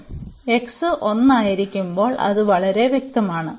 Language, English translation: Malayalam, So, that is pretty clear when x is 1